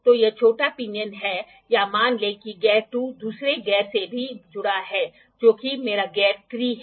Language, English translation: Hindi, So, this small pinion or the lets say the gear 2 is also connected to another gear, which is my gear 3